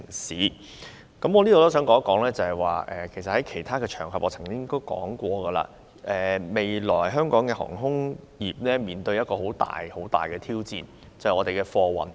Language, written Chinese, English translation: Cantonese, 事實上，我在其他場合曾指出，香港的航空業將面臨的一項極大挑戰，就是我們的貨運業。, In fact I have pointed out on other occasions that the Hong Kong aviation industry is going to face a very big challenge that lies in our airfreight business